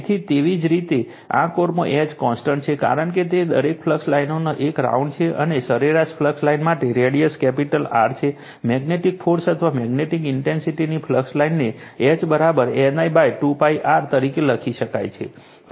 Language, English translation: Gujarati, So, by symmetry, H in this core is constant, because it is a right round each flux line and for the mean flux your mean flux line of radius capital radius capital R, the magnetizing force or magnetic intensity right, it can be written as H is equal to N I upon 2 pi R